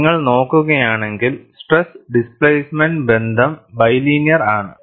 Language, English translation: Malayalam, And if you look at, the stress displacement relationship is bilinear